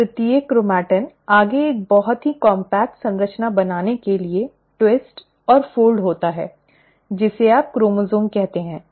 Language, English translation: Hindi, Now each chromatin further twists and folds to form a very compact structure and that is what you call as chromosome